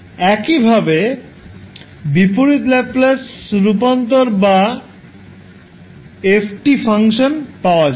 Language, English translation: Bengali, Then we can easily find the inverse Laplace transform of the function Fs